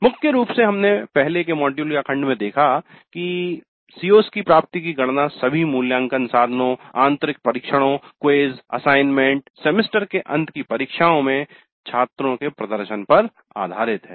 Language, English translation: Hindi, Primarily we have seen earlier in the earlier module also that computing attainment of COs is based on students performance in all the assessment instruments, internal tests, quizzes, assignments, semester examinations